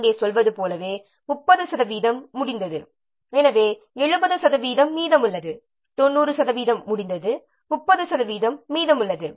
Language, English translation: Tamil, Just like as here you are saying 30 percent is complete, so 70 percent is left and 90 percent is complete, 30 percent is left